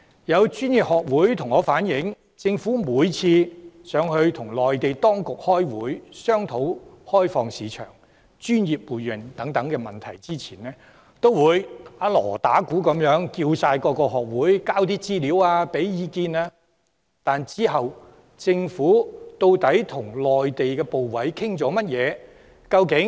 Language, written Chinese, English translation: Cantonese, 有專業學會向我反映，政府每次前往內地與內地當局開會商討開放市場、專業互認等問題前，均會"打鑼打鼓"，邀請各學會提供資料和意見，但其後政府究竟與內地的部委討論了甚麼？, Some professional bodies have conveyed to me that every time the Government goes to the Mainland to discuss with the Mainland authorities issues such as opening up markets and mutual recognition of professions they will invite in a high - profile manner professional institutes to give information and opinions before they go . But then what has the Government really discussed with the ministries and commissions in the Mainland?